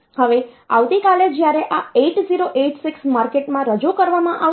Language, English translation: Gujarati, Now, tomorrow when this 8086 was introduced into the market